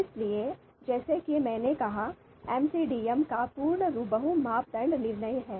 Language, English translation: Hindi, So as I said the full form of MCDM is multi criteria decision making